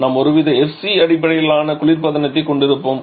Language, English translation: Tamil, Then we shall be having some kind of FCS refrigerant